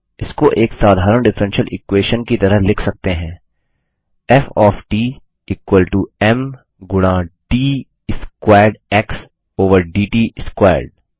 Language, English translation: Hindi, This can be written as an ordinary differential equation as:F of t is equal to m into d squared x over d t squared